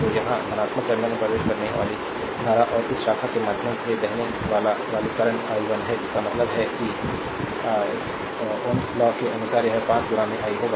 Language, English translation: Hindi, So, here current entering the positive terminal and this current flowing through this branch is i 1 ; that means, according to ohms law it will be 5 into i 1